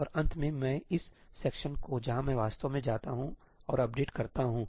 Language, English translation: Hindi, And finally, I time this section where I actually go and do the updates